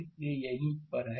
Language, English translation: Hindi, So, let us go to that